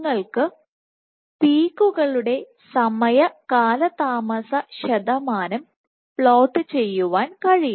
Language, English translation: Malayalam, So, you can plot time delay percentage of peaks